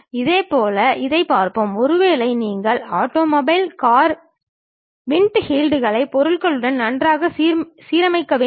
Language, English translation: Tamil, Similarly, let us look at this, maybe you have an automobile car windshields have to be nicely aligned with the object